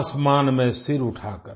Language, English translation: Hindi, holding the head sky high